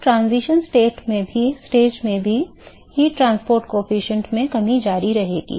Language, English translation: Hindi, So, in the transition stage also, the heat transport coefficient will continue to decrease